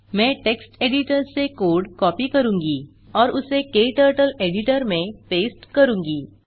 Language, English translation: Hindi, I will copy the code from text editor and paste it into KTurtle editor